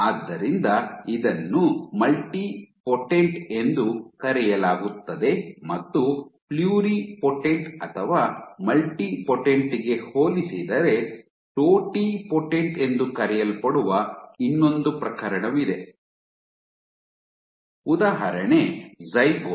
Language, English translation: Kannada, And in comparison, to pluripotent or multipotent you have one more case which is called Totipotent and example is the Zygote